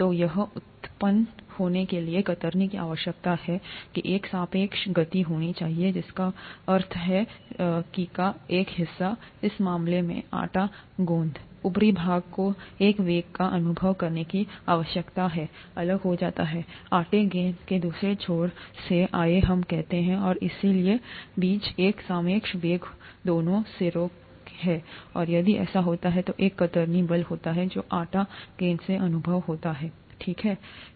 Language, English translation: Hindi, So this is a requirement for shear to arise that there has to be a relative motion, which means one part of the dough ball in this case, the upper part needs to be experiencing a velocity that is different from the other end of the dough ball, let us say, and therefore there is a relative velocity between the two ends, and if that happens, there is a shear force that is experienced by the dough ball, okay